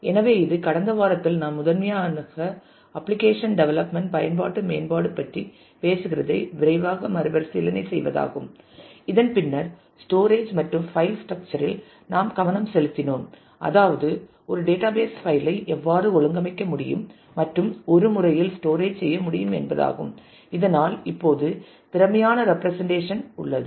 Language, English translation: Tamil, So, this is a quick recap of what we did in the last week primarily talking about application development and then specifically; we focused on storage and file structure that is how a database file can be stored how it can be organized and in a manner so that, we have efficient representation for that now